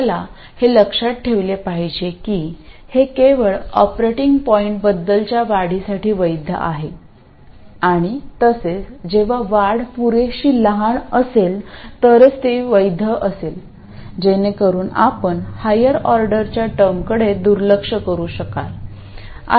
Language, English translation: Marathi, You have to remember that this is valid only for increments about the operating point and also it's valid only when the increments are sufficiently small so that you can neglect the higher order terms